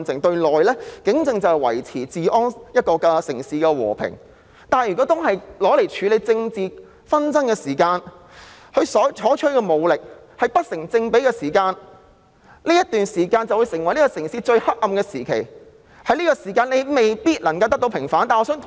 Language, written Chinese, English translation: Cantonese, 對內，警政是維持治安、維持城市的和平，但如果用作處理政治紛爭，而所採取的武力不成正比，這段時間就會成為城市最黑暗的時期，而且未必可以得到平反。, Internally policing is to maintain law and order and to maintain peace in the city but if such power is used to deal with political disputes and disproportionate force is used such a period of time will then become the darkest period of a city and the incidents might not be vindicated